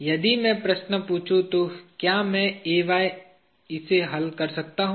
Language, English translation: Hindi, if I ask the question can I solve for Ay